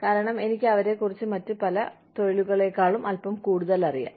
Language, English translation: Malayalam, Because, I know about them, a little bit more than, I know about, a lot of other professions